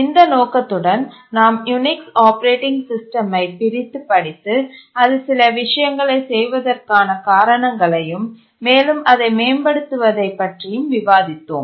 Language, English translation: Tamil, And with this intention, we are trying to dissect the Unix operating system and find why it does certain things and how it can be improved